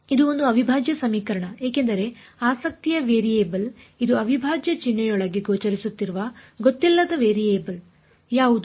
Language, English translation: Kannada, It is an integral equation why because the variable of a interest which is the unknown variable is it appearing inside the integral sign